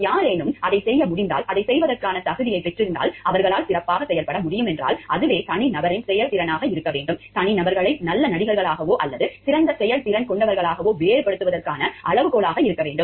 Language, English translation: Tamil, If somebody, if are able to do it, have the competency to do it and they can perform well then that should be the performance of the individual, should be the criteria for differentiating between the individuals as good performer or maybe better performer